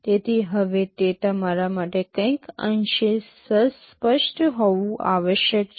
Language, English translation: Gujarati, So, now it must be somewhat clear to you